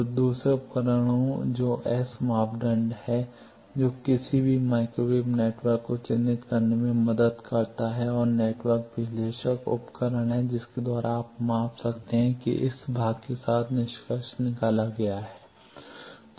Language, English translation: Hindi, So, the second tool that S parameter that helps to characterize any microwave network and the network analyzer is the equipment by which you can measure that with this part is concluded